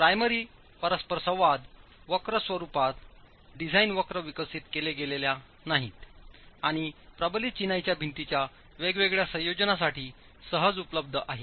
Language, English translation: Marathi, Since design curves in the form of PM interaction curves are not developed and readily available for different configurations of masonry reinforced masonry walls